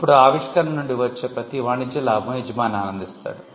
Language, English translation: Telugu, Now, every commercial gain that comes out of the invention is enjoyed by the employer